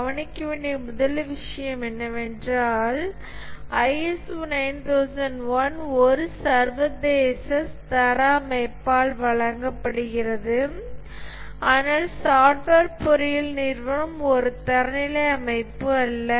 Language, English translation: Tamil, The first thing to note iso 9,001 is awarded by an international standards body, but Software Engineering Institute is not a standards body